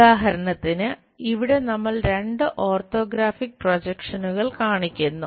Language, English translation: Malayalam, For example, here two orthographic projections we are showing